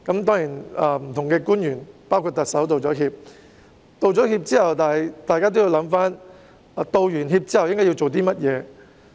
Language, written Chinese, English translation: Cantonese, 當然，不同的官員——包括特首——已經道歉，但在道歉後，大家都要想一想，之後應該做甚麼？, Of course various officials―including the Chief Executive―have apologized but after the apologies we should think about what we should do